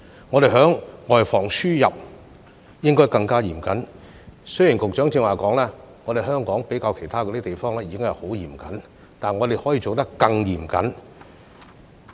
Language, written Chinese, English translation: Cantonese, 我們在外防輸入方面應該更加嚴謹；雖然局長剛才說香港相較其他地方已屬十分嚴謹，但我們可以做得更嚴謹。, Although the Secretary said earlier that Hong Kong is already very strict compared with other places we can take an even stricter approach